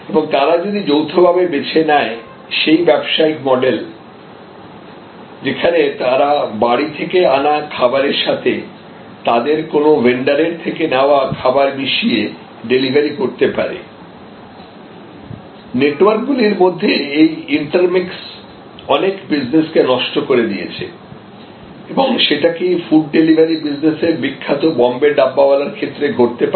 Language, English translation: Bengali, And they co opt, that business model that they can deliver stuff from your home and mix it with stuff that can come from one of the vendors, this intermixing of networks have disrupted many other businesses can it happen in this food delivery business of the famous Bombay Dabbawalas